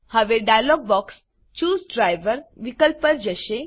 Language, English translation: Gujarati, Now, the dialog box switches to the Choose Driver option